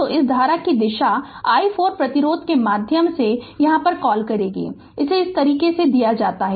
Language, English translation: Hindi, So, direction of this current that what you call is ah through i 4 ohm resistance it is given this way right